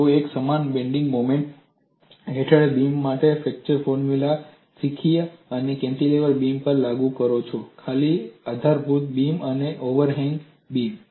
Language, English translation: Gujarati, You simply learn flexure formula for a beam under uniform bending moment and applied it to cantilever beam, simply supported beam and over hand beam